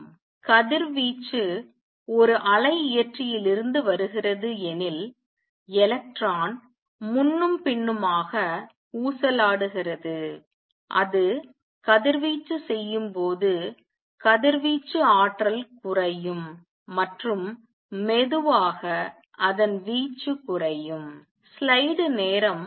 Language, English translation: Tamil, Suppose the radiation is coming from it an oscillator and electron oscillating back and forth when it radiates will radiate the energy will go down and slowly it is amplitude will go down